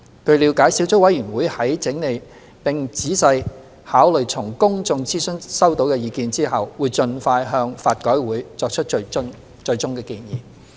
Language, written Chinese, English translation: Cantonese, 據了解，小組委員會在整理並仔細考慮從公眾諮詢收到的意見後，會盡快向法改會作出最終建議。, It is understood that the Sub - committee would collate and consider carefully the views collected from the public consultation with a view to submitting the final recommendations to LRC as soon as practicable